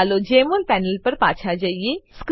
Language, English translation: Gujarati, Lets go back to the Jmol panel